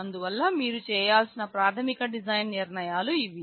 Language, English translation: Telugu, So, these are the basic design decisions that you need to make